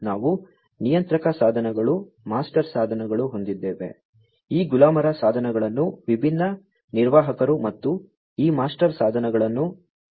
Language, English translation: Kannada, We have the controller devices, the master devices, these slave devices will be operated by different operators and these master devices by the controllers, right